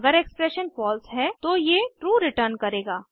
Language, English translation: Hindi, It will return true if the expression is false